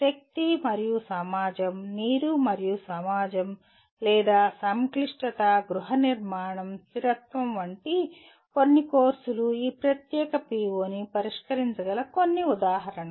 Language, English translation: Telugu, Some courses like energy and society, water and society or merely complexity, housing, sustainability are some examples that can address this particular PO